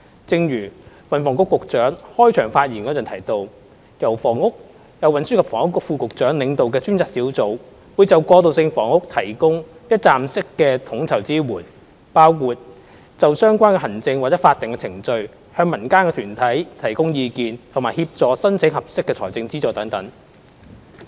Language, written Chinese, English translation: Cantonese, 正如運輸及房屋局局長開場發言時提到，由運輸及房屋局副局長領導的專責小組會就過渡性房屋提供一站式的統籌支援，包括就相關的行政或法定程序向民間團體提供意見，以及協助申請合適的財政資助等。, As mentioned by the Secretary for Transport and Housing in the opening remark the Task Force led by the Under Secretary for Transport and Housing will provide one - stop coordinated support on transitional housing matters . This includes offering advice to non - government organizations on administrative or statutory procedures and assisting them in applying for suitable funding support . The Government has assisted several transitional housing projects initiated by the non - government organizations